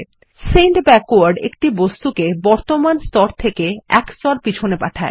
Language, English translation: Bengali, Send Backward sends an object one layer behind the present one